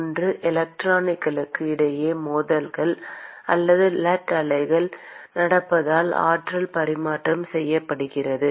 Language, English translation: Tamil, One is the energy is being transferred because there is collisions between the electrons or there is lattice waves which is happening